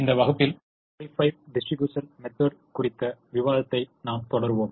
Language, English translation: Tamil, in this class we continue the discussion on the modified distribution method